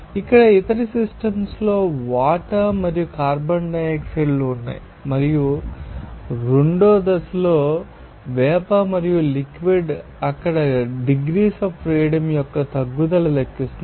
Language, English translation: Telugu, Other example like this here is system contains water and carbon dioxide and exists in two phases vapor and liquid calculate the decrease degrees of freedom there